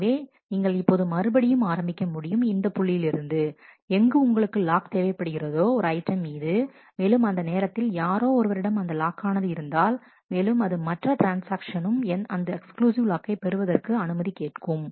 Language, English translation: Tamil, So, now you again start you again come to the point where you wanted the exclusive lock on that item and at that time somebody is holding it and there are other transactions who are also requesting for exclusive lock